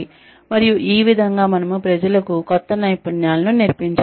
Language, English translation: Telugu, And, this way we can teach people new skills